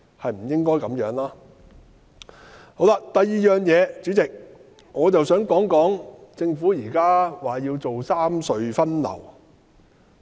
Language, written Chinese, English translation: Cantonese, 第二，代理主席，我想談談政府現在提出要三隧分流的問題。, Secondly Deputy President I wish to speak on the Governments proposal for rationalization of traffic distribution among the three tunnels